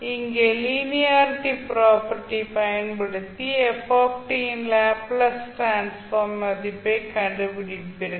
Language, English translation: Tamil, You will use linearity property here & find out the value of the Laplace transform of f t